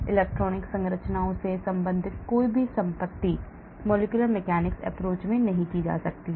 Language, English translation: Hindi, Any property related to electronic structures cannot be done with molecular mechanic’s approach